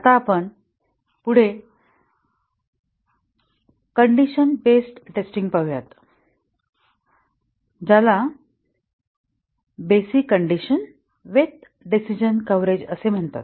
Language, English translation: Marathi, Now, let us look at the next condition based testing called as basic condition with decision coverage